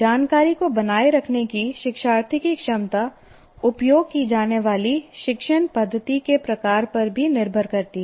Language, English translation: Hindi, The learner's ability to retain information is also dependent on the type of teaching method that is used